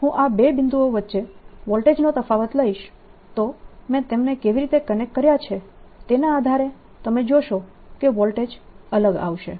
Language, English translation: Gujarati, when i take voltage difference between these two points, depending on how i connect them, you will see that the voltage comes out to be different